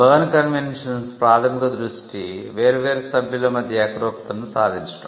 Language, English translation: Telugu, The Berne conventions primary focus was on having uniformity amongst the different members